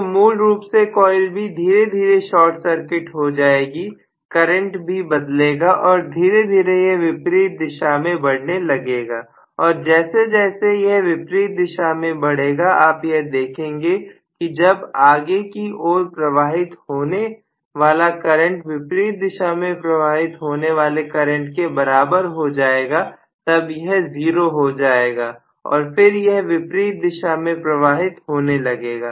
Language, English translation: Hindi, So coil B is essentially short circuited slowly the current changes and the current is slowly increasing in the opposite direction and as it increases in the opposite direction you are going to see that when it reaches a point the forward direction of current is equal to the reverse direction of current it is going to become 0 and eventually it will go into the other direction